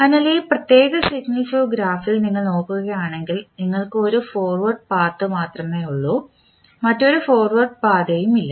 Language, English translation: Malayalam, So, if you see in this particular signal flow graph you will have only one forward path there is no any other forward path available